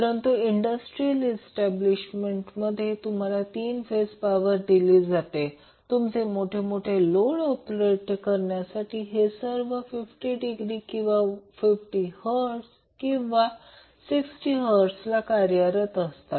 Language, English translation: Marathi, But in industrial establishment, you will directly see that 3 phase power supply is given to run the big loads and all these operating either at 50 degree or 50 hertz or 60 hertz